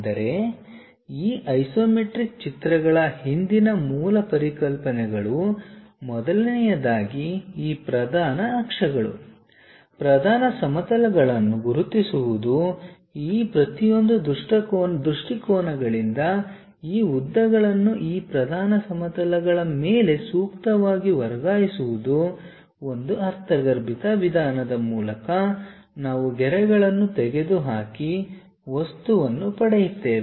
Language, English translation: Kannada, But the basic concepts behind these isometric drawings are first of all identifying these principal axis, principal planes, suitably transferring these lengths from each of these views onto these principal planes, through intuitive approach we will join remove the lines and get the object